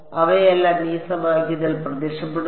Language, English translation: Malayalam, They all appear in this equation